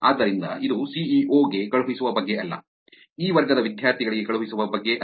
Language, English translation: Kannada, So, it is not about sending into the CEO’s, it is not about sending to the students of this class